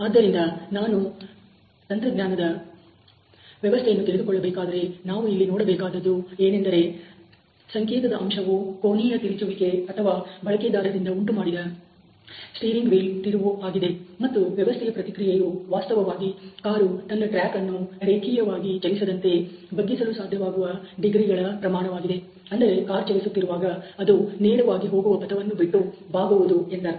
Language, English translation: Kannada, So, if I want to understand this is an engineering system, we will see that the signal factor here is the angular twist or turn of the steering wheel generated by the user and the response of the system is the actually the amount of degrees that the car is able to bend its track from moving it linearly